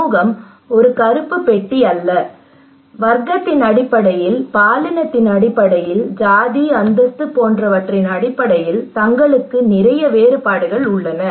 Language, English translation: Tamil, Community is not a black box there are a lot of differences among themselves some is based on class, based on gender, based on caste, status